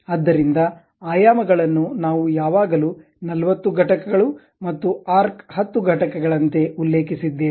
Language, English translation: Kannada, So, the dimensions always we mentioned like 40 units and arc 10 units